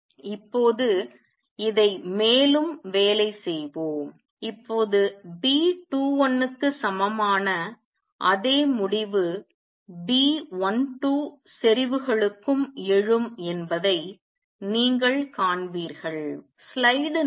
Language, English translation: Tamil, Now let us work on this further now you will see that same result B 21 equals B 12 would also arise for the concentrations